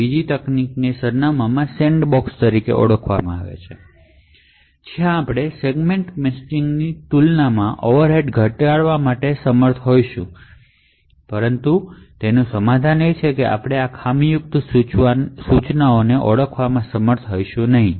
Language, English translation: Gujarati, The second technique is known as the Address Sandboxing where we will be able to reduce the overheads compared to Segment Matching but the compromise is that we will not be able to identify the faulty instruction